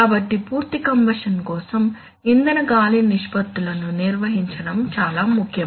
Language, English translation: Telugu, So for complete combustion it is very important to maintain fuel air ratios right